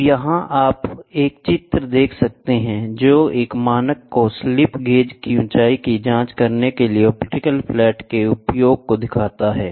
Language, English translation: Hindi, So, here you can see a figure; which illustrates the use of an optical flat to check the height of a slip gauge Against a standard